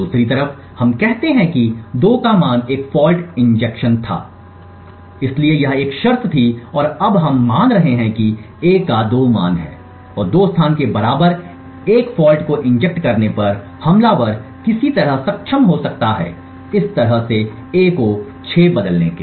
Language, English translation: Hindi, On the other hand let us say that a had a value of 2 injecting a fault so this was one condition and we have now assuming that a has a value of 2 and injecting a fault in the equal to 2 location the attacker has somehow be able to change a to 6 like this